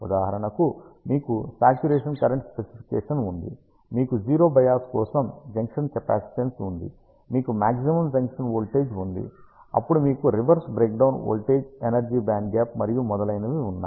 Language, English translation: Telugu, For example, you have a saturation current specification, you have ah the junction capacitance for 0 bias, you have the maximum junction voltage, then you have a reverse breakdown voltage the energy band gap and so on